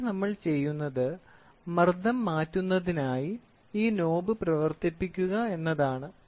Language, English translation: Malayalam, So, here what we do is this knob we operate to change the pressure